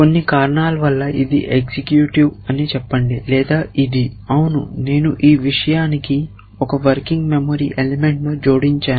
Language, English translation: Telugu, Let us say this was executive for some reason or this one is executive for some reason, yeah I have added 1 working memory element to my these thing